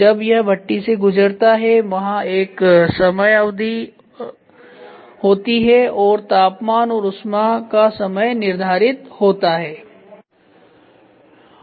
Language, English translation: Hindi, Where this furnace it passes through it there is a time period and temperature heat time heat is set it is passed through